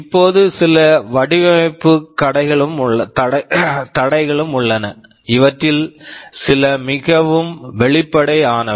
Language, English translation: Tamil, Now, there are some design constraints as well; some of these are pretty obvious